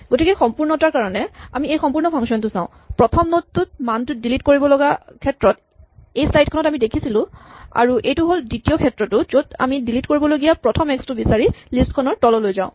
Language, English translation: Assamese, So, just for completeness, here is the full function, this was the first slide we saw which is the case when the value to be deleted is in the first node and this is the second case when we walk down the list looking for the first x to delete